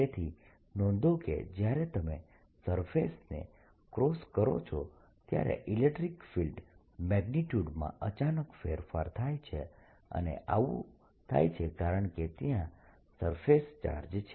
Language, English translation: Gujarati, so notice there is a change, sudden change, in the electric field magnitude as you cross the surface and that is because there is a surface charge